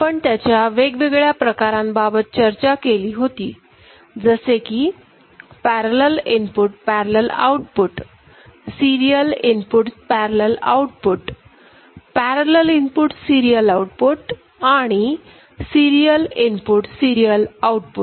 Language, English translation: Marathi, And we discussed various configuration of it parallel input parallel output, serial input parallel output, parallel input serial output, and serial input serial output